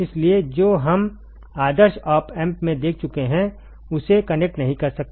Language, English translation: Hindi, So, you cannot connect like what we have seen in the ideal op amp